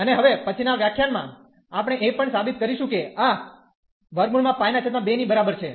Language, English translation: Gujarati, And in next lectures, we will also prove that this is equal to square root pi by 2